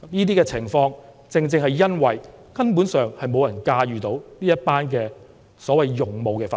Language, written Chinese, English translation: Cantonese, 這些情況，正正是因為無人能夠駕馭這些所謂的勇武分子。, All these happen because no one can have control over the so - called valiant protesters